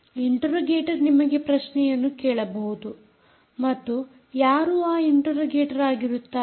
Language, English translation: Kannada, the interrogator can ask you a question and who is the interrogator